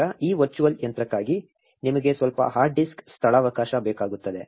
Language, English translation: Kannada, Now, you also need some hard disk space for this virtual machine